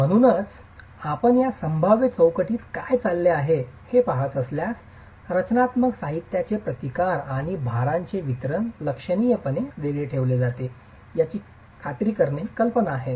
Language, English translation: Marathi, So, if you were to examine what's happening within this probabilistic framework, the idea is to ensure that the resistances of the structural material and the distribution of the loads are significantly kept apart